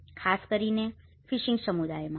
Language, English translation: Gujarati, And especially, in the fishing communities